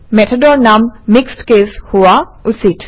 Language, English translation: Assamese, The method name should be the mixed case